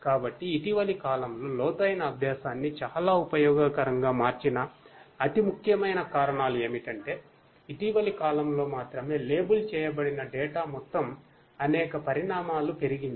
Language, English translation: Telugu, So, the most important reasons that have made deep learning so useful in the recent times is, that only in the recent times, only in the recent times